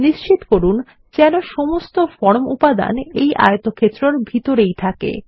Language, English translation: Bengali, Lets make sure, all the form elements are inside this rectangle